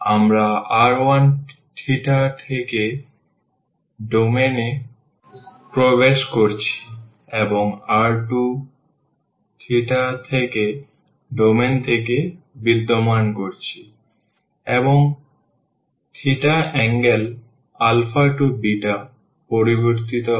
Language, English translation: Bengali, We are entering the domain from r 1 theta and existing the domain from r 2 theta, and the theta varies from the angle alpha to beta